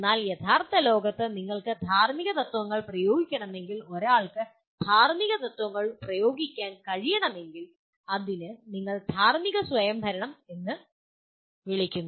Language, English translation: Malayalam, But in real world, if you want to apply ethical principles, if you want someone to really be able to apply ethical principles it requires what we call moral autonomy